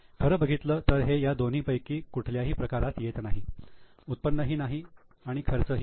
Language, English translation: Marathi, Actually it is neither, it is neither income nor expense